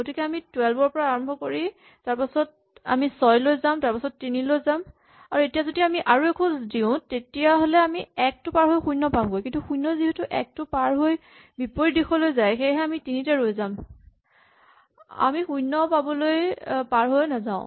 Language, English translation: Assamese, So, we will start with 12 and then we will go to 9, then we will go to 6, then we will go to 3 and if we were to go one more step you would go to 0, but since 0 crosses 1 in the negative direction we would stop at 3 itself, we would not cross over to 0